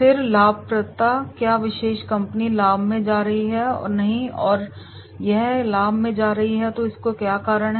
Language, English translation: Hindi, Then profitability, is the particular company going into profit and not and if it is going into the profit what are the reasons